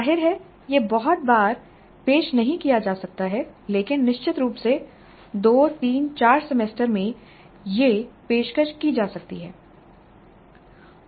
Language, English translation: Hindi, Obviously this cannot be offered too often but certainly in 2 3 4 semesters this can be offered